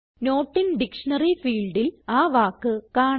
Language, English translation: Malayalam, So we see the word in the Not in dictionary field